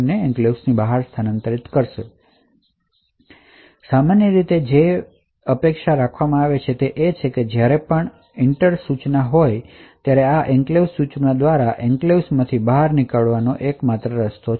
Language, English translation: Gujarati, Now typically what is expected is that whenever there is EENTER instruction the only way to exit from the enclave is by this Enclave instruction